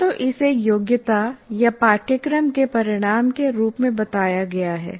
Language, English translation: Hindi, Either it is stated as competency or in our case course outcome